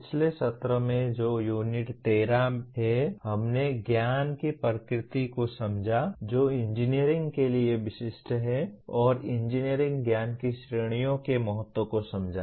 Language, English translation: Hindi, In the last session that is Unit 13, we understood the nature of knowledge that is specific to engineering and understood the importance of categories of engineering knowledge